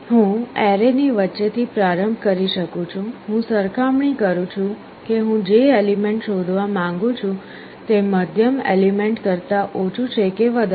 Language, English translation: Gujarati, I can start with the middle of the array; I compare whether the middle element is less than or greater than the element I want to search